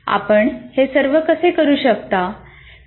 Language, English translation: Marathi, How do we do all this